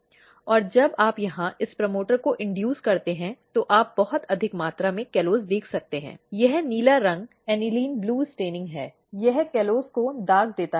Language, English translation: Hindi, And when you induce this promoter here, you can see very high amount of callose, this blue color is aniline blue staining, it stains the callose